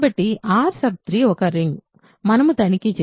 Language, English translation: Telugu, So, R 3 was a ring, we checked